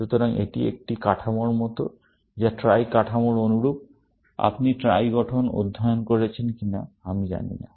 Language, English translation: Bengali, So, it is like a structure, which is similar to the Trie structure; I do not know if you have studied the Trie structure